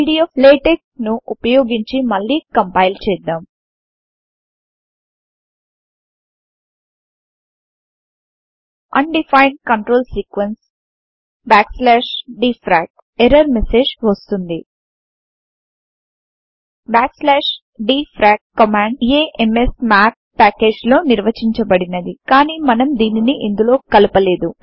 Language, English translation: Telugu, Let us compile once again using pdflatex We get the error message Undefined control sequence \dfrac LaTeX complains because the command \dfrac is defined in the package Amsmath but we have not included it